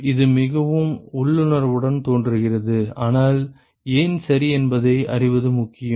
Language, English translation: Tamil, It appears very intuitive, but is important to know why ok